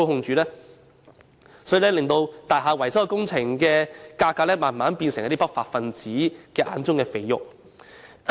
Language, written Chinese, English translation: Cantonese, 這因而令大廈維修工程的價格逐漸變成不法分子眼中的"肥肉"。, Consequently the prices of maintenance works of buildings have gradually become a cash cow in the eyes of unruly elements